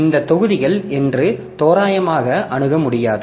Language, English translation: Tamil, You cannot randomly access, say, these blocks